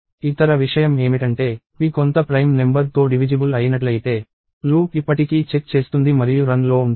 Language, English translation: Telugu, The other thing is if p is divisible by some prime number, the loop will still check and keep running